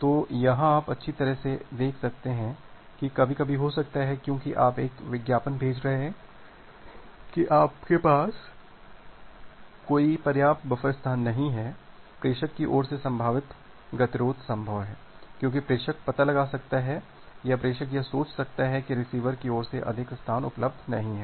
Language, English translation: Hindi, So, here you can see that well, it may it may sometime happen that that because of you are sending this advertisement that that you have do not you do not have any sufficient buffer space, there is a possible possible deadlock at the sender side, because the sender can find out or sender can thinks of that no more space is available at the receiver side